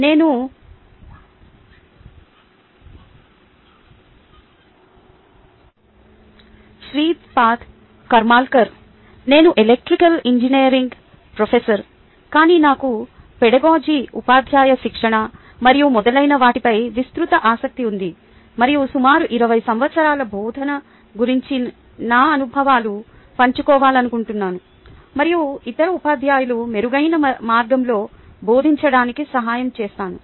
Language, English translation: Telugu, i am a professor of electrical engineering, but i have a wider interests in a pedagogy, teacher training and so on, and i like to share my experiences of about a twenty years of teaching and help a other teachers teach in a better way